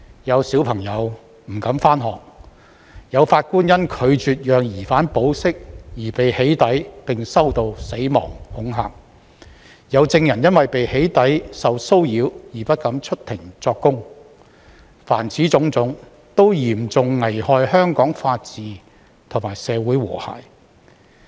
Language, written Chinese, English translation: Cantonese, 有小朋友不敢上學；有法官因拒絕讓疑犯保釋而被"起底"，並收到死亡恐嚇；有證人因為被"起底"受騷擾而不敢出庭作供；凡此種種，都嚴重危害香港法治與社會和諧。, Some children are afraid to go to school; some judges have been doxxed and threatened with death for refusing to release suspects on bail; and some witnesses are afraid to testify in court because they have been harassed by doxxing . All of these have seriously jeopardized the rule of law and social harmony in Hong Kong